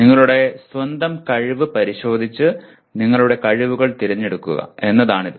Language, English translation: Malayalam, That is you inspect your own skill and select your skills